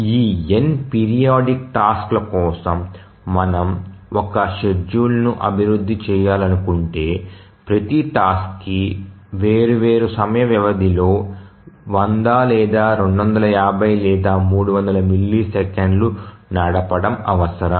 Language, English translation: Telugu, Let me rephrase that if we want to develop a schedule for this n periodic tasks, each task requiring running at different time intervals, some may be 100, some may be 250, some may be 300 milliseconds etc